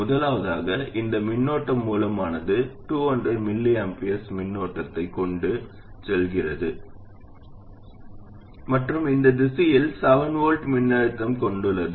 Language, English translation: Tamil, First of all this current source it is carrying a current of 200 microamper and it has a voltage of 7 volts across it in this direction